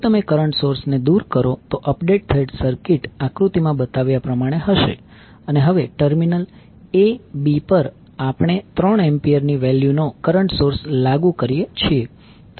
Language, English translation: Gujarati, If you remove the current source the updated circuit will be like shown in the figure and now, across terminal a b we apply a current source having value 3 ampere